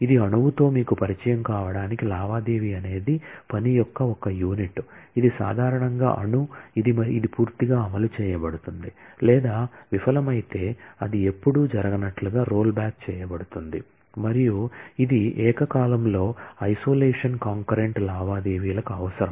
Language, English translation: Telugu, This is just to get you familiar with atom a transaction is a unit of work, which is usually atomic, which is either fully executed or if it fails, it will be rolled back as if it never occurred and this is required for isolation in concurrent transactions